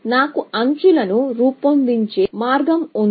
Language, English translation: Telugu, So, I have a way of devising edges